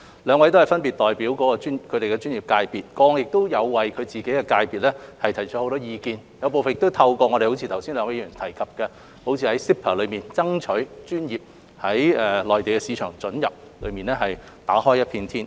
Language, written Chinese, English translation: Cantonese, 兩位分別代表其專業界別，過往亦有為其界別提出很多意見，正如剛才兩位議員提及在 CEPA 中，爭取專業於內地市場准入方面打開一片天。, The two Members are representing their professional sectors respectively and they have expressed views on behalf of their sectors in the past . As both Members have mentioned that they have been striving for a breakthrough in market access to the Mainland for local professionals under the MainlandHong Kong Closer Economic Partnership Arrangement CEPA